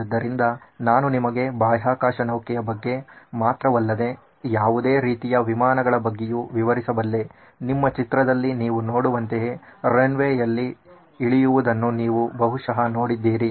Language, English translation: Kannada, So, I am going to describe to you not only about space shuttle but also about any aeroplane that you probably have seen landing on a runway like what you see in your picture